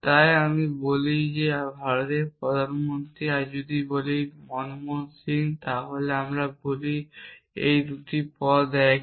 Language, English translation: Bengali, So, if I say the prime minister of India and if i say manmohan singh then I say these 2 terms are the same